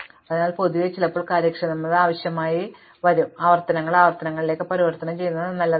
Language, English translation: Malayalam, So, it is in general sometimes for efficiency purposes, good to convert recursion to iteration